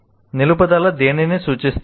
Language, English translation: Telugu, What does retention refer to